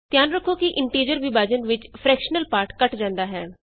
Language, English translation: Punjabi, Please note that in integer division the fractional part is truncated